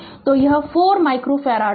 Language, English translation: Hindi, So, it will be 4 micro farad